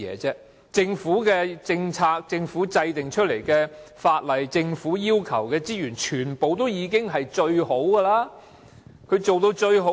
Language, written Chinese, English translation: Cantonese, 政府的政策、政府制定的法例及政府要求的資源都是最好的，可以做到最好。, Given that the Government can formulate the best policies enact the best laws command the best resources and then achieve the best result so how can it not perform well with so much resources?